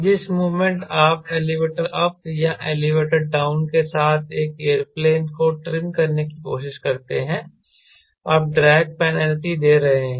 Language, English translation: Hindi, the moment you try to trim an airplane with elevator up or elevator down you are giving drag penalty